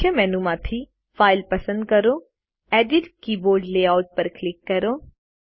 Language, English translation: Gujarati, From the Main menu, select File, and click Edit Keyboard Layout